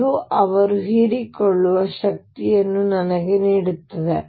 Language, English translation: Kannada, That will give me the energy that they absorbed